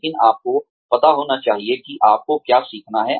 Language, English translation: Hindi, But, you should know, what you need to learn